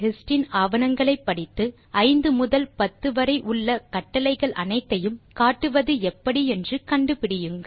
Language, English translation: Tamil, Read through the documentation of#160%hist and find out how to list all the commands between 5 and 10